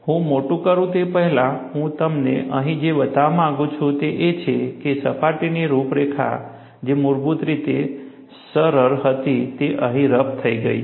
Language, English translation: Gujarati, Before I magnify, what I want to show you here is, the surface profile which was originally smooth, has become roughened here